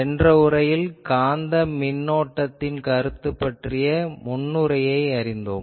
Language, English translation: Tamil, So, today since in the last lecture we have introduced the concept of magnetic current